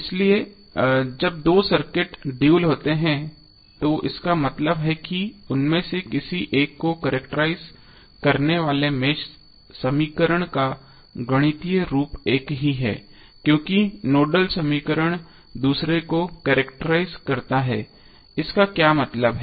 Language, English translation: Hindi, So when two circuits are dual that means the mesh equation that characterize one of them have the same mathematical form as the nodal equation characterize the other one, what does that mean